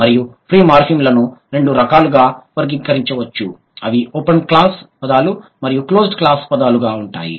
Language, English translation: Telugu, And the free morphemes, they can be classified into two types, open class words and closed class words